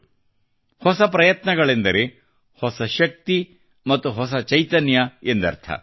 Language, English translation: Kannada, And, new efforts mean new energy and new vigor